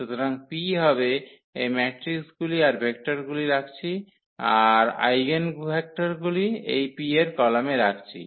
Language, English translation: Bengali, So, the P will be we are placing these matrices are these vectors the eigenvectors as columns of this P